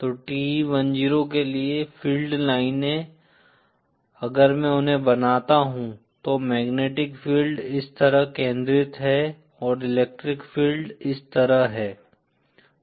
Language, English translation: Hindi, So for TE 10, the field lines, if I can draw them, the magnetic field are concentrate like this and the electric field are like this